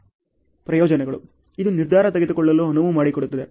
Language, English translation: Kannada, Advantages; it allows decision making